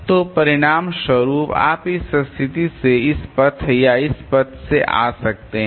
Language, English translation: Hindi, So, as a result you can come to this position either from this path or from this path